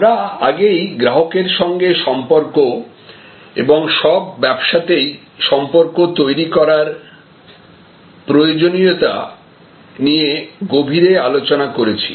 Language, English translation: Bengali, We were already discussed in depth aspects regarding customer relationship and the high importance of relationship building in all service businesses